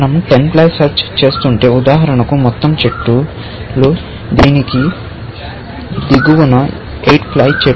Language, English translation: Telugu, If we were doing 10 ply search, for example, then the entire trees; 8 ply trees below this, would be cut off